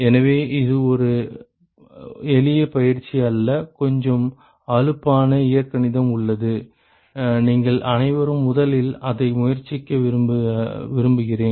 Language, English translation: Tamil, So, it is not a simple exercise there is a little bit tedious algebra and, what I like all of you to first try it